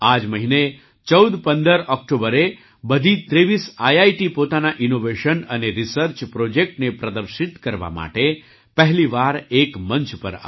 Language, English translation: Gujarati, This month on 1415 October, all 23 IITs came on one platform for the first time to showcase their innovations and research projects